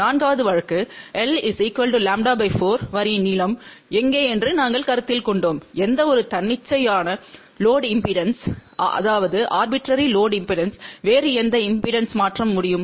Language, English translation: Tamil, The fourth case we had considered where the length of the line was lambda by 4 and we had seen that any arbitrary load impedance can be transformed to any other impedance